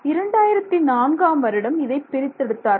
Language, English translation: Tamil, So, in 2004 they isolated it